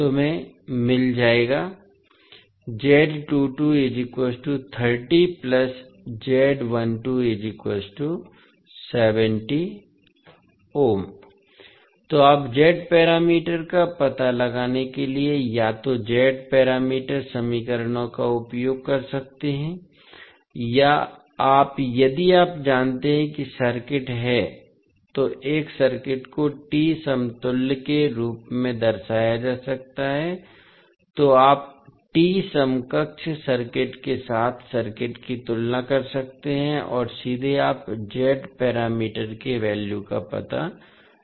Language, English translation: Hindi, So, you can use either the Z parameter equations to find out the Z parameters, or you, if you know that the circuit is, a circuit can be represented as a T equivalent, so you can compare the circuit with T equivalent circuit and straight away you can find out the value of Z parameters